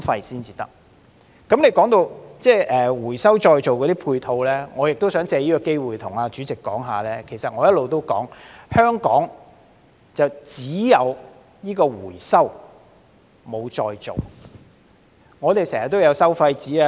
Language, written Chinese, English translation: Cantonese, 說到回收再造的配套，我也想藉此機會告訴主席，我一直也指出，香港只有回收，但沒有再造。, Speaking of supporting facilities for waste recovery and recycling I would also like to take this opportunity to tell the President that as I have always said there is only recovery but not recycling in Hong Kong